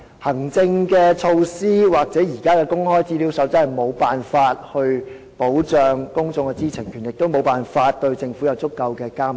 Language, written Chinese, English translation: Cantonese, 行政措施或現時的《公開資料守則》無法保障公眾知情權，也無法對政府實施足夠的監督。, Administrative arrangements or the current Code on Access to Information cannot protect peoples right to know; nor can they exercise adequate monitoring on the Government